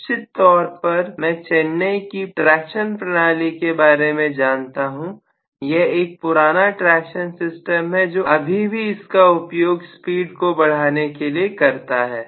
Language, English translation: Hindi, At least for sure I know that in Chennai the traction system, the old traction system uses this still for increasing the speed